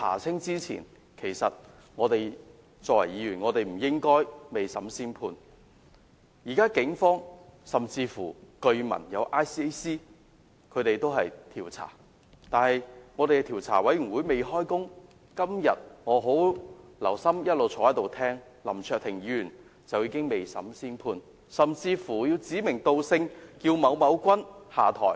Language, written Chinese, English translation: Cantonese, 今天，我一直坐在席上細心聆聽議員發言，發覺雖然政府的調查委員會尚未展開調查，但林卓廷議員已經未審先判，甚至指名道姓，要求某君下台。, Today I have been sitting in this Chamber listening attentively to Members speeches . Although the Commission of Inquiry appointed by the Government is yet to carry out the inquiry Mr LAM Cheuk - ting has already made a pre - emptive judgment and has gone so far as to specifically ask someone to step down